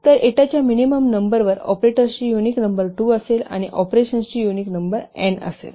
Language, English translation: Marathi, So, the minimum number of, sorry, the unique number of operators will be 2 and the unique number of operands will be n